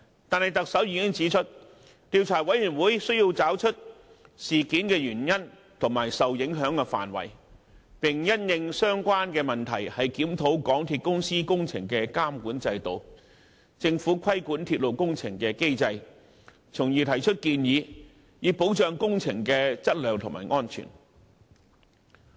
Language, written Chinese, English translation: Cantonese, 不過，特首已經指出，調查委員會須找出事件的原因和受影響範圍，並因應相關問題檢討港鐵公司工程的監管制度、政府規管鐵路工程的機制，從而提出建議，以保障工程的質量和安全。, However as pointed out by the Chief Executive the Commission of Inquiry has to examine the cause of the incident and the extent of the impact as well as review MTRCLs supervision system and the Governments mechanism of controlling railway projects in the light of the problems identified with a view to making recommendations to ensure the quality and safety of works